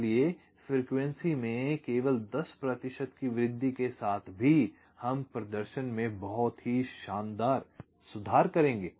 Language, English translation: Hindi, so even a ten percent increase in frequency, we will lead to a very fantastic improve in performance